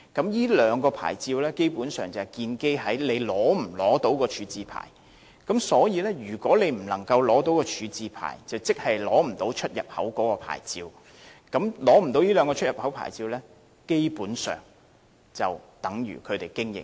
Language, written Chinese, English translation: Cantonese, 由於這兩個牌照建基於商戶是否取得廢物處置牌照，如果商戶未能取得廢物處置牌照，即無法取得出入口牌照，而沒有出入口牌照的話，商戶基本上已無法經營。, Since the two licences are issued based on the possession of a waste disposal licence if an operator fails to obtain the waste disposal licence it can neither obtain an import licence nor an export licence . In other words the operator cannot carry on its business any longer